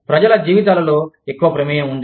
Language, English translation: Telugu, There is more involvement, in people's lives